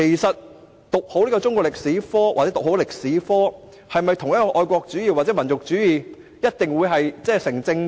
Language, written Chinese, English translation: Cantonese, 讀好中史與愛國主義或民族主義是否一定成正比？, Is there a causal relation between having a good knowledge of Chinese history and patriotism or nationalism?